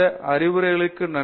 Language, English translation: Tamil, Thank you for this opportunity